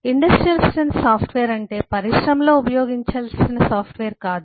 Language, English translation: Telugu, industrial strength software does not mean software that needs to be used in an industry